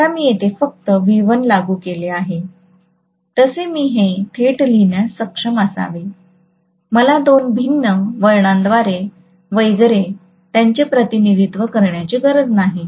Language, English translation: Marathi, Now I should be able to write this directly as though I just have V1 applied here, I don’t have to represent them by two different windings and so on and so forth